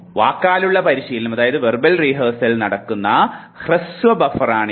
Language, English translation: Malayalam, It is the short buffer where verbal rehearsal takes place